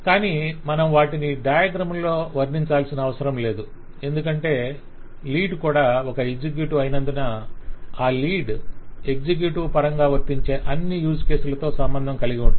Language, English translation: Telugu, but we do not actually need to depict them on the diagram because since a lead is an executive, the lead will, through the executive, the lead will be associated with all the use cases to which the executive is associated